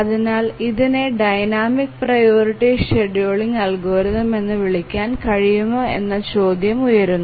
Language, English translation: Malayalam, And why do we call it as a dynamic priority scheduling algorithm